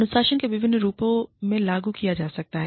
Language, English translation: Hindi, Discipline can be enforced, in various forms